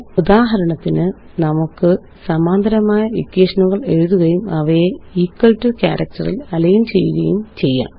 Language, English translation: Malayalam, For example, we can write simultaneous equations and align them on the equal to character